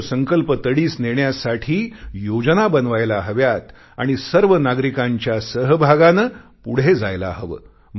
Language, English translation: Marathi, Plans should be drawn to achieve that pledge and taken forward with the cooperation of all citizens